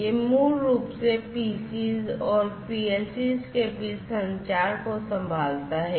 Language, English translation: Hindi, This basically handles the communication between the PCs and the PLCs